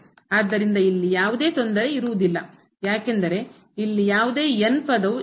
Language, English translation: Kannada, So, this will not disturb because there is no term here